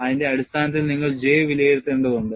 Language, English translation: Malayalam, And based on that, you will have to evaluate J